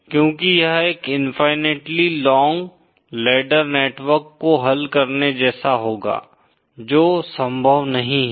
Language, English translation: Hindi, Because it will be like solving an infinitely long ladder network which is not possible